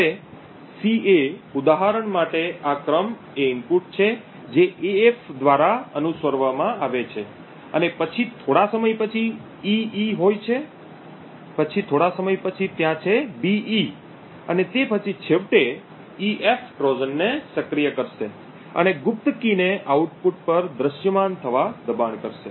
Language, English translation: Gujarati, Now this sequence for example ca is an input which is followed by af and after some time there is an ee, then after some time there is a be and then an ef would finally activate the Trojan and force the secret key to be visible at the output